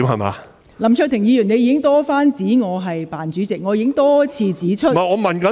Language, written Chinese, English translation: Cantonese, 林卓廷議員，你已經多番指我"扮主席"，我已經多次指出......, Mr LAM Cheuk - ting you have repeatedly referred to me as the phoney Chair and I have repeatedly pointed out